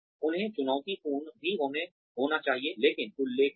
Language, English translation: Hindi, They should also be challenging, but doable